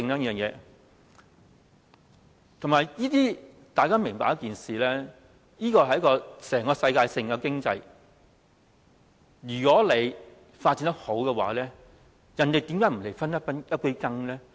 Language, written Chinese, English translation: Cantonese, 大家要明白一件事，這是一項世界性的經濟活動，如果發展得好，人家怎會不來分一杯羹呢？, We have to understand that this is a kind of global economic activities . If this business is well developed will other places not try to get a share of the pie?